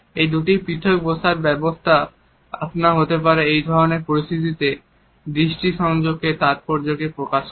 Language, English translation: Bengali, These two different seating arrangements automatically convey the significance of eye contact in these type of situations